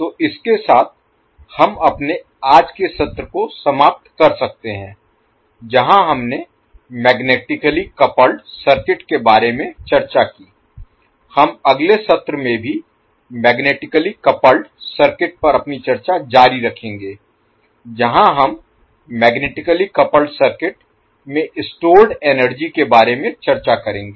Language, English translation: Hindi, So with this we can close our today’s session where we discussed about the magnetically coupled circuit we will discuss, we will continue our discussion on the magnetically coupled circuits in the next session also where we will discuss about the energy stored in the magnetically coupled circuit and then we will also see the ideal transformer and its various equations thank you